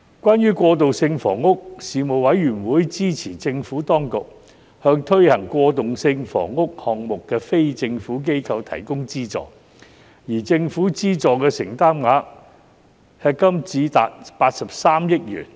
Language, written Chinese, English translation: Cantonese, 關於過渡性房屋，事務委員會支持政府當局向推行過渡性房屋項目的非政府機構提供資助，而政府資助的承擔額迄今已達83億元。, As for transitional housing the Panel supported the Administration to provide funding to the non - government organizations NGOs which implemented transitional housing projects . The Governments commitment on transitional housing has so far amounted to 8.3 billion